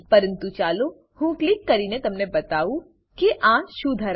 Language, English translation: Gujarati, But let me click and show you, what it contains